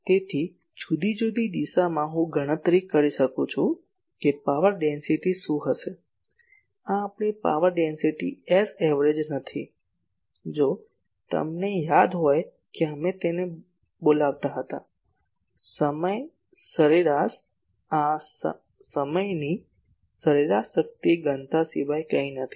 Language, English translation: Gujarati, So, at different direction I can calculate that that what is the power density, this is nothing our power density S average if you remember we used to call it , the time average this is nothing but time average power density